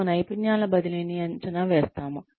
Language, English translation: Telugu, We evaluate transfer of skills